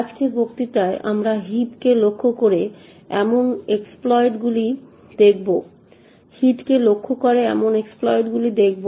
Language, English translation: Bengali, In today’s lecture we will look at exploits that target the heap